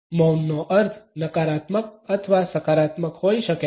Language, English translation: Gujarati, The connotations of silence can be negative or positive